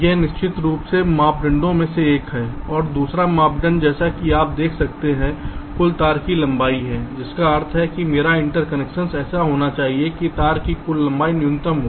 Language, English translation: Hindi, and the second criteria, as you can see, is the total wire length, which means my interconnection should be such that the total length of the wire should be minimum